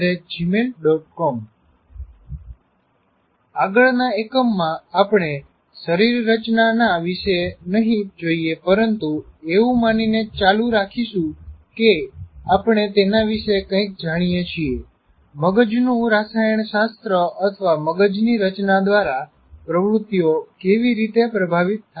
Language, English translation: Gujarati, And in the next unit will continue the not about the anatomy, but assuming that we know something about it, how different activities kind of are influenced by the brain chemistry or brain structures